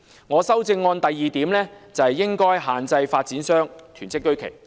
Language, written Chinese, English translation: Cantonese, 我的修正案的第二個重點，是應該限制發展商囤積居奇。, The second key point in my amendment is to reduce land hoarding by developers